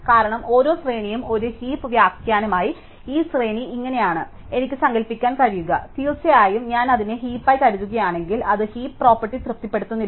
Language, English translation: Malayalam, Because, every array as a heap interpretation, I can imagine that this is how the array looks, if I think of it the heap of course, it does not satisfy the heap property